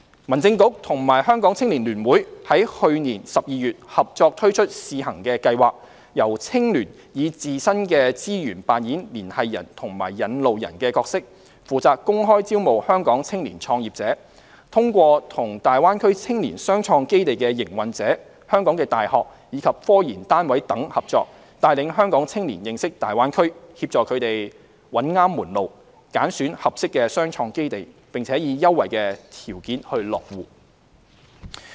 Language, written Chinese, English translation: Cantonese, 民政事務局與香港青年聯會於去年12月合作推出試行計劃，由青聯以自身的資源扮演"連繫人"和"引路人"的角色，負責公開招募香港青年創業者，通過與大灣區青年雙創基地的營運者、香港的大學，以及科研單位等合作，帶領香港青年認識大灣區的機遇，協助他們找對門路，揀選合適的雙創基地，並以優惠條件落戶。, The Home Affairs Bureau and the Hong Kong United Youth Association HKUYA jointly launched a pilot scheme in December last year . As a connector and a leader HKUYA will use its own resources to openly recruit Hong Kong young entrepreneurs and lead them through cooperation with the operators of the Shenzhen - Hong Kong Youth Innovation Entrepreneurship Base in the Greater Bay Area the universities and research institutes in Hong Kong to understand the opportunities in the Greater Bay Area assist them in finding the right path choose the right innovation and entrepreneurship base and settle there on preferential conditions